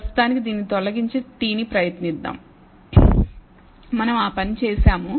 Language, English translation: Telugu, For the time being let us actually remove this and try the t